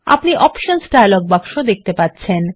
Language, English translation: Bengali, You will see the Options dialog box